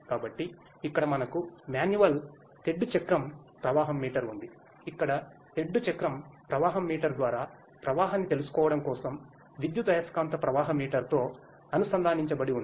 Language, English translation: Telugu, So, here we have a manual paddle wheel flow meter which is connected to an electromagnetic flow meter for knowing the flow through the paddle wheel flow meter here